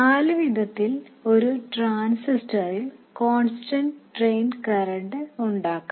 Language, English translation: Malayalam, There are four variants of establishing a constant drain current in a transistor